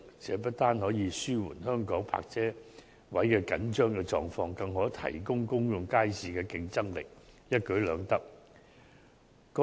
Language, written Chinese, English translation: Cantonese, 這不但可紓緩香港泊車位緊張的狀況，更可提高公眾街市的競爭力，一舉兩得。, In doing so it will not only alleviate the tight supply of parking spaces in Hong Kong but also enhance the competitiveness of public markets thus killing two birds with one stone